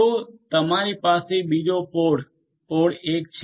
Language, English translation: Gujarati, So, you will have another pod, pod 1